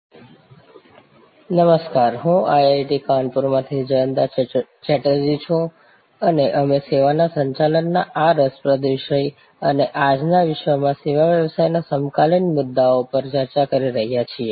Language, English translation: Gujarati, Hello, I am Jayanta Chatterjee from IIT, Kanpur and we are interacting on this interesting topic of Managing Services and the contemporary issues in the service business in today’s world